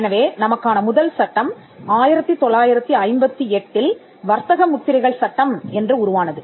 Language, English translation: Tamil, So, the act the first act that we have is the Trademarks Act, 1958